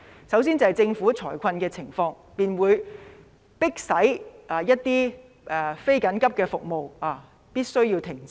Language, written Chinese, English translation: Cantonese, 首先是政府會出現財困，便迫使一些非緊急的服務必須停止。, First the Government will have financial difficulties and some non - emergency services had to be suspended